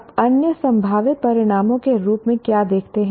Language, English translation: Hindi, What do you see as other possible outcomes